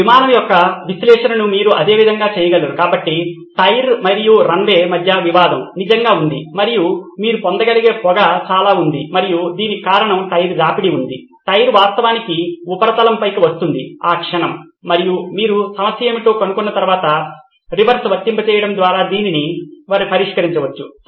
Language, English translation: Telugu, The same way you can do the analysis of this aircraft landing a lot of smoke so the conflict really is between the tyre and the runway and there is lot of puff of smoke that you can see and that is because there is a tyre ware at the moment the tyre actually hits the surface and you can actually solve this by applying a reverse once you have figured out what the problem is